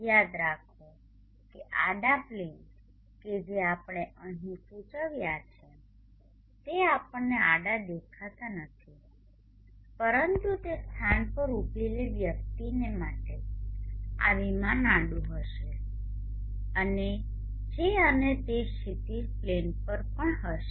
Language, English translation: Gujarati, Remember that the horizontal plane that we have indicated here does not appear horizontal to us but to a person standing at the locality this plane will be horizontal and which and it will also lie on the horizon plane